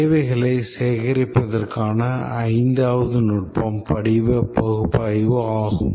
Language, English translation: Tamil, And the fifth technique to gather requirements is the form analysis